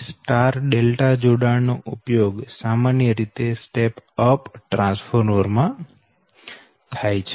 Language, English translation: Gujarati, so therefore the star delta connection is commonly used in step down